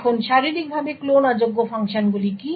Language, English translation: Bengali, Now what are Physically Unclonable Functions